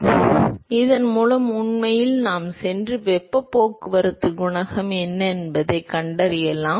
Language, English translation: Tamil, So, with this actually we can go and find out what is the heat transport coefficient